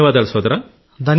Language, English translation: Telugu, Thank you brother